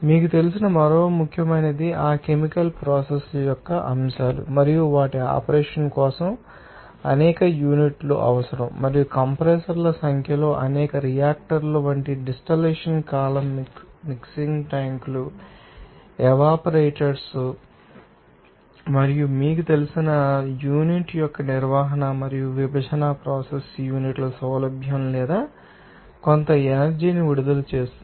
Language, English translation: Telugu, Another important you know, aspects of that chemical processes which are being executed and also, you know, those are required for their operation several units and like a number of reactors in number of compressors, distillation column mixing tanks evaporators filter precious and other you know materials that handling and separation process unit ease of the unit either recourse or releases some energy